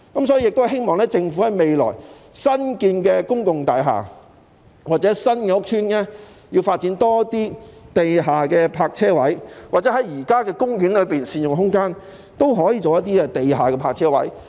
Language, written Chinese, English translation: Cantonese, 所以，我希望政府未來在新建的公共大廈或新屋邨多發展地下泊車位，又或在現時的公園善用空間，興建一些地下的泊車位。, In this connection I hope that the Government will provide underground parking spaces in developing new public buildings or new housing estates in future or optimize the use of space at the existing parks to develop underground parking spaces